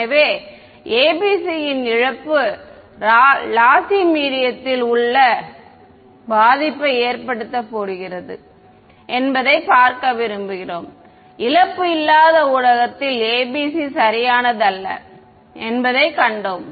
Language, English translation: Tamil, So, we want to see what is the impact of the ABC in a lossy medium we saw that in a loss free medium ABC was perfect no problem with ABC ok